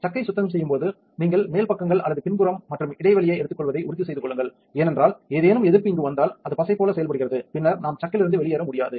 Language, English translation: Tamil, When cleaning the chucks make sure that you take the top the sides or the backside and also the recess because if any resist gets in here, it acts as glue and then we cannot get the chuck off